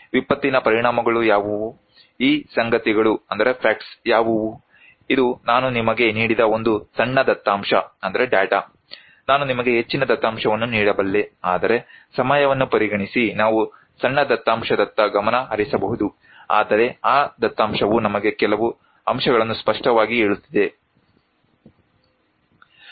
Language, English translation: Kannada, what are the impacts of disaster, what are these facts, this is a small data I have given you, I can give you a lot more data, but for the considering the time, we may focus on small data, but that data is telling us few points, pretty clearly